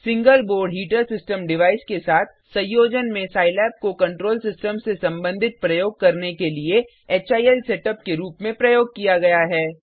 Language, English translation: Hindi, Scilab in combination with Single Board Heater System device is used as a HIL setup for performing control system experiments